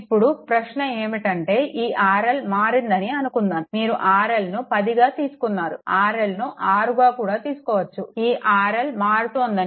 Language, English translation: Telugu, Now question is, if suppose this R L is change, suppose R L you take 10 ohm, R L you can take 6 ohm, suppose this R L is changing